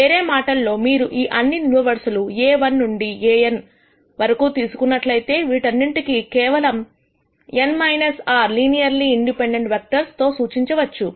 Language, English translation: Telugu, In other words, if you take all of these columns, A1 to An; these can be represented using just n minus r linearly independent vectors